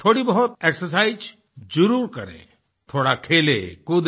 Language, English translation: Hindi, Do some exercises or play a little